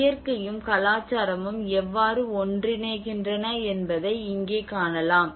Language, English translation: Tamil, And here we can see that how the nature and culture can come together